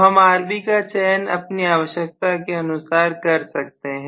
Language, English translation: Hindi, So I can choose Rb value according to whatever is my requirement